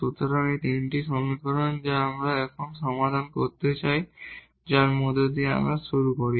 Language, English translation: Bengali, So, these 3 equations which we want to solve now which let us start with this middle one